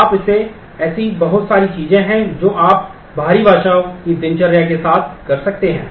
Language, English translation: Hindi, And there are a whole lot of things you can do with the external language routines